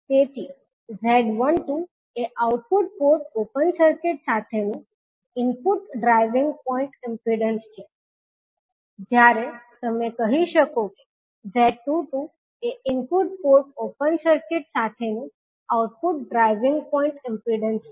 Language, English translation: Gujarati, So, Z12 is the input driving point impedance with the output port open circuited, while you can say that Z22 is the output driving point impedance with input port open circuited